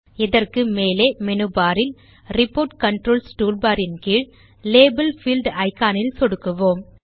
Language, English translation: Tamil, To do this, we will click on the Label field icon In the Report Controls toolbar found below the menu bar at the top